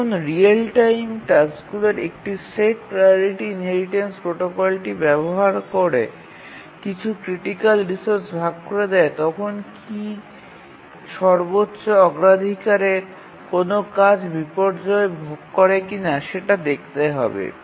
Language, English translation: Bengali, When a set up real time tasks share certain critical resources using the priority inheritance protocol, is it true that the highest priority task does not suffer any inversions